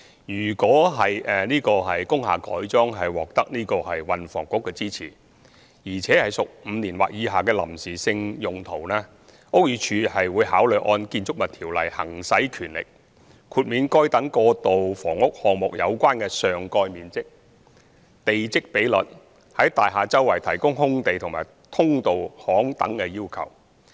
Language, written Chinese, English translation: Cantonese, 如果工廈的改裝獲得運輸及房屋局支持，而且屬5年或以下的臨時性用途，屋宇署會考慮按《建築物條例》行使權力，豁免該等過渡性房屋項目有關的上蓋面積、地積比率，以及在大廈四周提供空地和通道巷等的要求。, If the conversion of an industrial building is supported by the Transport and Housing Bureau for temporary use of five years or less BD will consider exercising its powers under the Buildings Ordinance to exempt the relevant transitional housing project from certain requirements in relation to site coverage plat ratio open space and service lane etc . BD will also handle other design constraints pragmatically